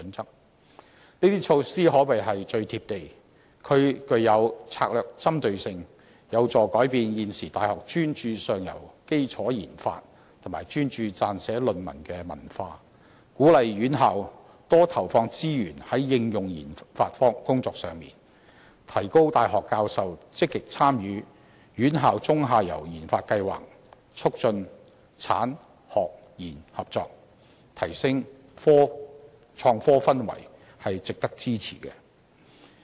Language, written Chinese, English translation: Cantonese, 這些措施可謂最"貼地"，具有策略針對性，有助改變現時大學專注上游基礎研發及撰寫論文的文化，鼓勵院校多投放資源在應用研發工作上，提高大學教授積極參與"院校中游研發計劃"，促進產、學、研合作，提升創科氛圍，值得支持。, These measures are arguably most down - to - earth as they strategically target university subculture help shift academic focuses away from upstream foundational research and development and thesis writing and encourage universities to allocate more resources in applied research and development instead . University professors are motivated to take part actively in the Midstream Research Programme for Universities . Collaboration among the industry academia and research sectors are promoted to help enhance the climate for innovation and technology